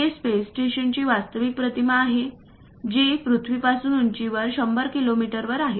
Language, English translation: Marathi, This is the actual image of a space station which is above 100 kilometres from the earth at an altitude